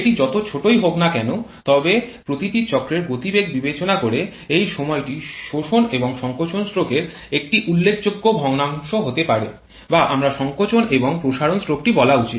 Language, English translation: Bengali, Whatever small it may be but considering the speed at which each of the cycle operates that time can be a significant fraction of the suction or compression stroke or I should say the compression and expansion stroke